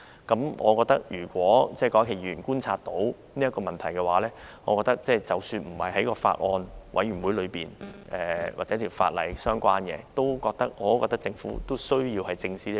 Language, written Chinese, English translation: Cantonese, 既然郭家麒議員觀察到該等問題，我認為即使不在小組委員會的討論範圍或與有關附屬法例無關，政府仍需要正視該等問題。, Since Dr KWOK Ka - ki found such problems in his observation I think the Government should take them seriously even though they are not the subjects of discussion in the Subcommittee or related to the relevant subsidiary legislation